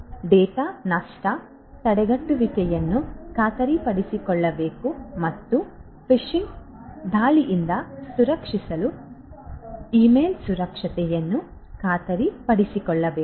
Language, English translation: Kannada, Data loss prevention should be ensured and email security should be ensured to protect against phishing attacks